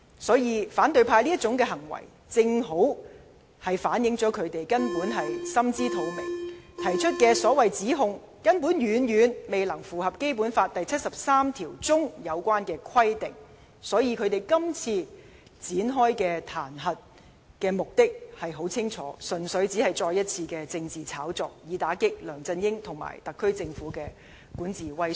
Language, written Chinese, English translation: Cantonese, 所以，反對派這種行為正好顯示出他們根本心知肚明，提出的指控遠遠未符合《基本法》第七十三條的有關規定，所以他們這次展開彈劾的目的很清楚，純粹只是另一場政治炒作，以打擊梁振英和特區政府的管治威信。, Hence it is well evident that opposition Members also understand that the nature of those charges against Mr LEUNG Chun - ying can hardly meet the requirements of Article 73 of the Basic Law and they activate the impeachment mechanism merely for the objective of launching another political struggle to undermine the prestige of governance of Mr LEUNG Chun - ying and the SAR Government